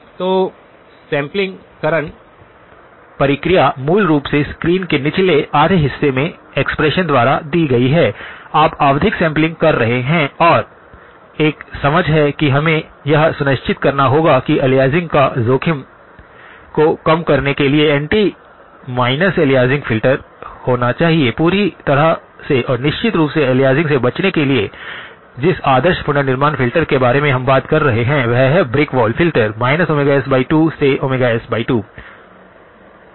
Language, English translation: Hindi, So, the sampling process is given by in the expression in the lower half of the screen basically, you are doing periodic sampling and there is an understanding that we must ensure that there is an anti minus aliasing filter to be in order to minimize the risk of aliasing; to avoid aliasing completely and of course, the ideal reconstruction filter which we have been talking about is a brick wall filter from minus omega s by 2 to omega s by 2